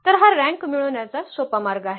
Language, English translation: Marathi, So, this is a simplest way of getting the rank